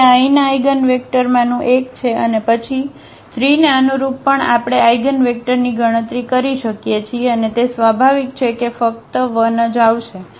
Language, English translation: Gujarati, So, this is one of the eigenvectors here and then corresponding to 3 also we can compute the eigenvector and that is naturally it will come 1 only